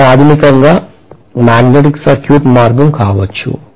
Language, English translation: Telugu, This may be the magnetic circuit path basically